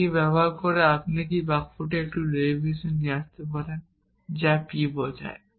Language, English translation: Bengali, Using this, can you come up with a derivation of this sentence p implies p, you can try it a little bit while